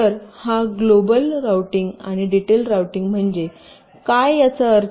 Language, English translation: Marathi, ok, so this is global and detail routing roughly what it means